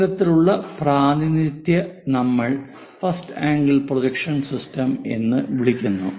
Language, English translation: Malayalam, This kind of representation what we call first angle projection system where the object is placed in the first coordinate